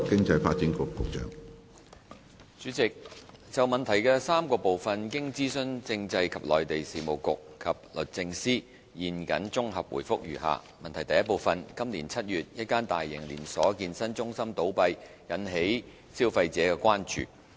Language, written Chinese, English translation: Cantonese, 主席，就質詢的3部分，經諮詢政制及內地事務局及律政司，現謹綜合答覆如下：一今年7月，一間大型連鎖健身中心倒閉，引起消費者關注。, President having consulted the Constitutional and Mainland Affairs Bureau and the Department of Justice my consolidated reply to the three parts of the question is as follows 1 In July this year the closure of a chain of fitness centres aroused concerns among consumers